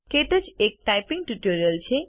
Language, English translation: Gujarati, KTouch is a typing tutor